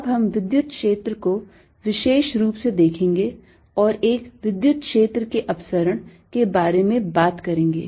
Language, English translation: Hindi, we are now going to specialize to electric field and talk about the divergence of an electric field